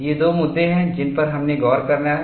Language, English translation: Hindi, These are the two issues we have looked at